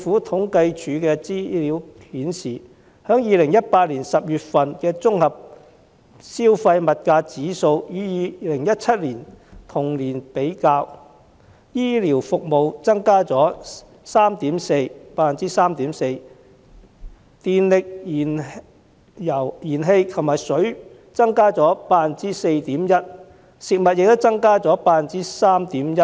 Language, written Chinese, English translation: Cantonese, 統計處的資料顯示，把2018年10月份的綜合消費物價指數與2017年同月的數字比較，醫療服務的價格增加了 3.4%， 電力、燃氣及食水的價格增加了 4.1%， 食品的價格亦增加了 3.1%。, Information released by CSD indicates that comparing the Composite Consumer Price Index of October 2018 with that of the same month in 2017 the prices of health care services increased by 3.4 % those of electricity gas and water increased by 4.1 % and those of food by 3.1 %